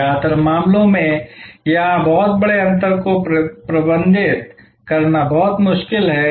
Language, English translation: Hindi, In most cases, it is very difficult to manage a very large gap here